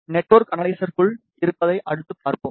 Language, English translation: Tamil, We will see what is inside a network analyzer next